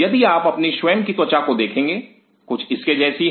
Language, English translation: Hindi, If you look at your own skin to the something like this is